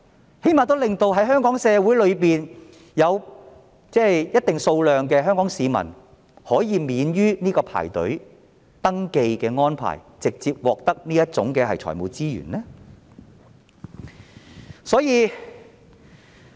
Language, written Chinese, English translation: Cantonese, 最低限度令香港社會有一定數量的香港市民可以不用排隊登記，直接獲得這類財務資源。, It should at least enable a certain number of citizens in the Hong Kong to obtain such financial resources directly without having to register